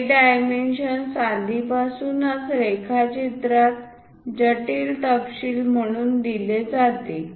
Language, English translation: Marathi, This dimension must have been already given in the drawing as intricate detail